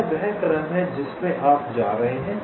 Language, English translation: Hindi, this is the sequence in which you are going